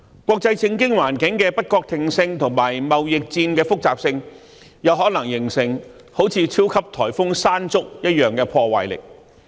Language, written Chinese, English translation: Cantonese, 國際政經環境的不確定性及貿易戰的複雜性，有可能形成猶如超級颱風"山竹"般的破壞力。, The uncertainties in the international political and economic situations and complexities of the trade war may wreak havoc comparable to the destructions caused by super typhoon Mangkhut